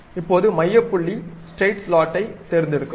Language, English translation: Tamil, Now, pick the center points straight slot